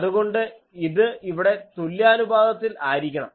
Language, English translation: Malayalam, So, this should be symmetric, so here